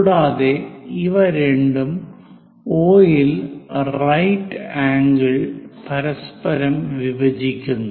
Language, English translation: Malayalam, And these two bisect with each other at right angles at O